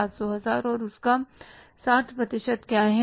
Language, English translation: Hindi, And what is the 60% of that